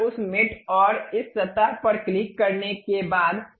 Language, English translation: Hindi, Once after clicking that mate this surface and this surface